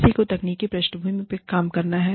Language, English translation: Hindi, Somebody has to do the technical background work